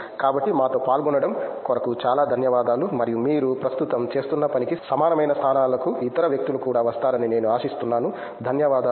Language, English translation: Telugu, So, thank you very much for joining us and I hope other people would also come in to positions that are similar to what you are doing right now, thank you